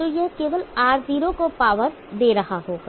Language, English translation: Hindi, So only this will be delivering power to R0